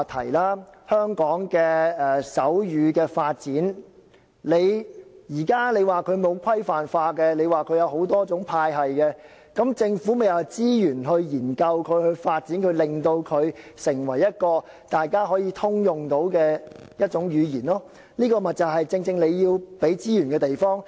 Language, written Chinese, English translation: Cantonese, 既然說現時香港的手語發展沒有規範化，有多種派系，政府便要用資源作出研究、發展，令手語成為大家可以通用的一種語言，這就正正是政府要提供資源的地方。, Since it is said that the development of sign language in Hong Kong at present is not standardized but has different versions of the same vocabulary the Government will have to use resources in the study and development so that sign language can become a common language of people . This is precisely where the Government has to provide resources